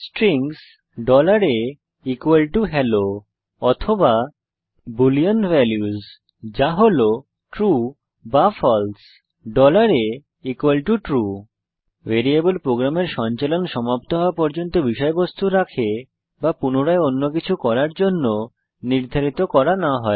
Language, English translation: Bengali, strings $a=hello or boolean values that is true or false $a=true Variable keeps the content until program finishes execution or until it is reassigned to something else